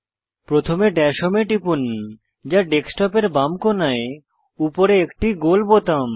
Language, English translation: Bengali, First, click on Dash Home, which is the round button, on the top left corner of your computer desktop